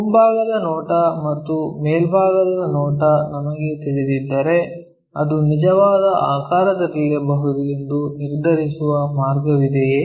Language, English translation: Kannada, If we know that top view front view and top view, is there a way we can determine what it might be in true shape